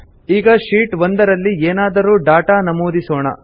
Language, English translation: Kannada, Now lets enter some data in Sheet 1